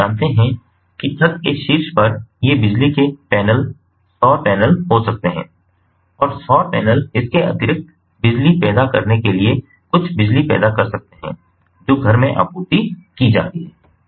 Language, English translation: Hindi, so, you know, on the roof tops there can be these power panels, ah, the solar panels, and the solar panels can additionally generate some electricity to supplement the electricity that is ah that is supplied to the home